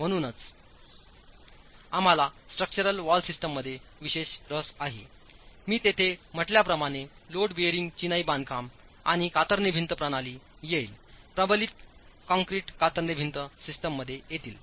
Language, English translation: Marathi, So, we are specifically interested in structural wall systems and that is where, as I said, load bearing masonry constructions and shear wall systems would come in